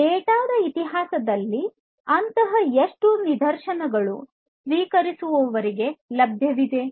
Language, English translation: Kannada, So, in the history of the data how many such instances are available to the receiver